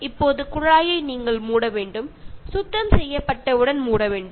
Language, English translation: Tamil, Now you need to tap off, turn off the tap the moment cleaning is done